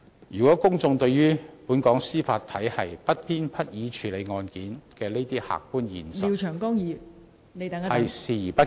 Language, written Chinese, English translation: Cantonese, 如果公眾對本港司法體系不偏不倚處理案件的這些客觀現實視而不見......, If the public ignore the objective fact that the Judiciary in Hong Kong has impartially handled these cases